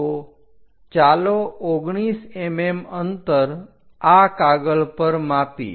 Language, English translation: Gujarati, So, let us measure 19 mm on the sheet